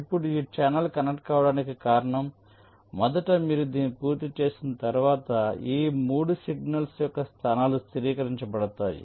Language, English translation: Telugu, fine, now the reason why this channel has to be connected first is that once you complete this, the position of these three signals are fixed